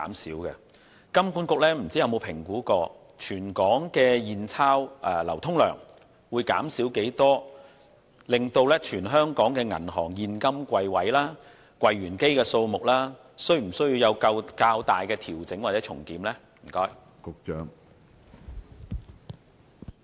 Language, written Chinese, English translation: Cantonese, 不知道金管局有否評估全港的現鈔流通量將會減少多少，以及全港銀行的現金櫃位和櫃員機數目需否作出較大的調整或重檢？, I wonder if HKMA has assessed by how much the circulation of cash across the territory will be reduced as well as the need to substantially adjust or review afresh the number of cash service counters and automatic teller machines of the banks in Hong Kong